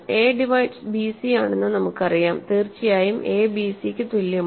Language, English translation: Malayalam, We know that a divides bc, of course, a is equal to bc